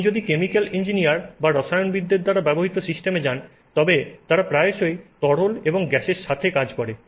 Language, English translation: Bengali, If you go to systems used by chemical engineers or chemists, they are often working with liquids and gases